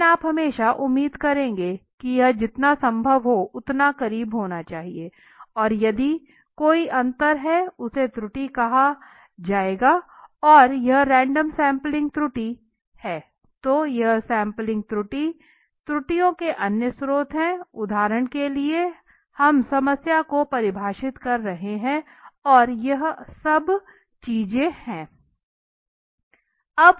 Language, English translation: Hindi, But you will always hope that this should be as closer possible right and of the if there is a difference then thus this difference whatever the difference whatever the difference lies will be termed as the error so right now random sampling error is that we have just said then the this are the other sources of sampling errors that is for example we are defining the problem and all this things right